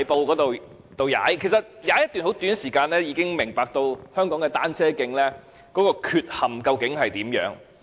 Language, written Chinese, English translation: Cantonese, 其實，我只踏了一段很短時間，已經明白香港的單車徑究竟有何缺陷。, Honestly I only cycled for a very short while to understand the defects of cycle tracks in Hong Kong